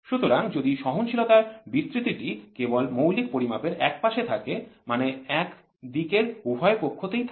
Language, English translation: Bengali, So, if when the tolerance distribution is only on one side of the basic, one side either in the first two side or the